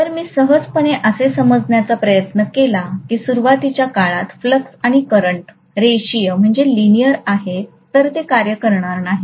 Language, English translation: Marathi, If I simply try to assume that flux and current are linear even in the beginning, that is not going to work